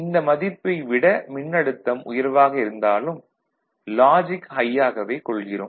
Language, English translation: Tamil, So, any voltage less than that is treated as logic low, ok